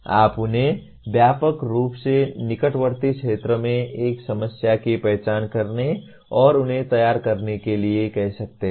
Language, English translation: Hindi, You can broadly ask them to identify a problem in nearby area and ask them to formulate